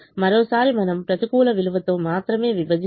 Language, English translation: Telugu, once again, we divide only with negative values